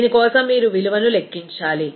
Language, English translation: Telugu, For this, you need to calculate a value